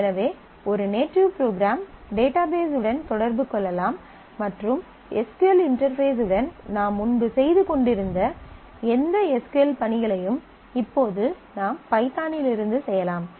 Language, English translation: Tamil, So, this is how a native program here in this case python can interact with the database and do any of the SQL tasks that we were doing earlier with SQL interface, now we can be done from the python, so that is a basic ODBC mechanism